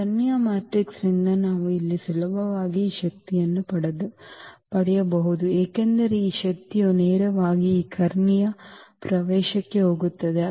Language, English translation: Kannada, What is the use here that this diagonal matrix we can easily get this power here because this power will directly go to this diagonal entry